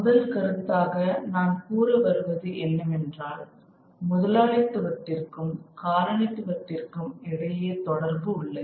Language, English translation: Tamil, The first point that I would like to make is there is a linkage between capitalism and colonialism